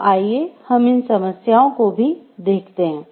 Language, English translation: Hindi, So, let us see about those problems also